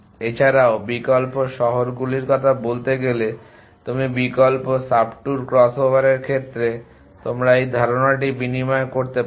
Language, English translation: Bengali, Also, in say of the alternating cities you can alternate subtour crossover you can exchange in this idea